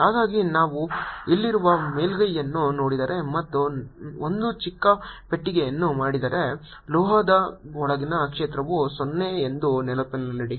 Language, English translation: Kannada, so if i look at the surface out here and make a very small box, keep in mind that field inside the metal is zero